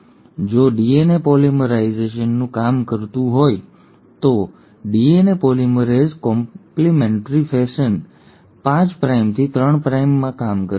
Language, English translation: Gujarati, And if the DNA polymerase has to work, the DNA polymerase will work in the complimentary fashion 5 prime to 3 prime